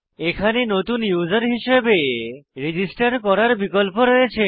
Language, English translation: Bengali, Notice, we also have an option to register as a new user